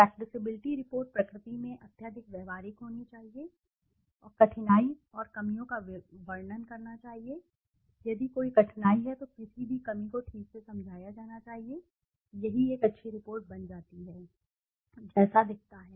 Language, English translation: Hindi, Practicability the report should be highly practicable in nature and description of the difficulty and the shortcomings, if there is any difficulty, any shortcoming it should be explained properly, this is what a good report becomes, looks like